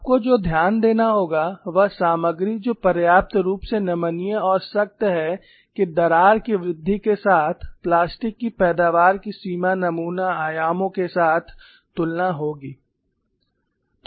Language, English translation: Hindi, What we will have to note is materials that are sufficiently ductile and tough, that the extent of plastic yielding accompanying the crack growth would be comparable to the specimen dimensions